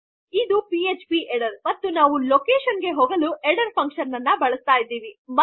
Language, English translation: Kannada, This is php header and we are using header function going to a location